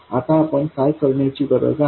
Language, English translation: Marathi, Now, what is it that we need to do